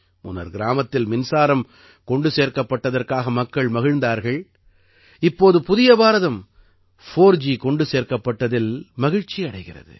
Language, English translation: Tamil, Like, earlier people used to be happy when electricity reached the village; now, in new India, the same happiness is felt when 4G reaches there